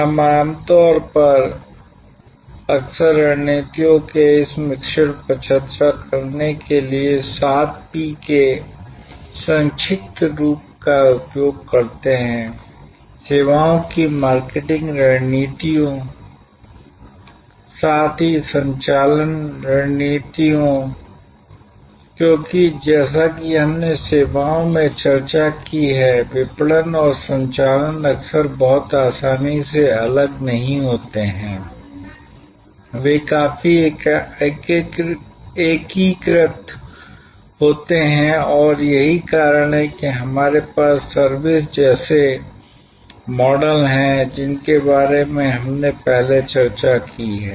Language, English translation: Hindi, We normally often use the acronym seven P’s to discuss this mix of strategies, the services marketing strategies, as well as operation strategies, because as we have discussed in services, marketing and operations are often not very easily distinguished, they are quite integrated and that is why we have models like servuction which we have discussed before